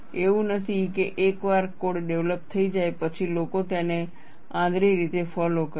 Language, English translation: Gujarati, It is not that, once a code is developed, people follow it blindly; it is not so